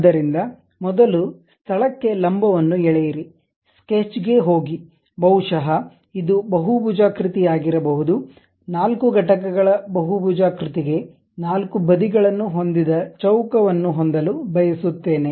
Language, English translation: Kannada, So, first construct a normal to that at this location go to Sketch, maybe this is the Polygon; a polygon of 4 units I would like four sides I would like to have square